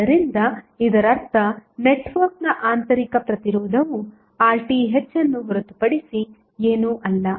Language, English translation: Kannada, So, that means, that the internal resistance of the network is nothing but Rth